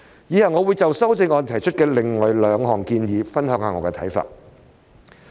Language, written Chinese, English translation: Cantonese, 以下我會就修正案提出的另外兩項建議，分享我的看法。, I will now share my views on the other two proposals in the amendment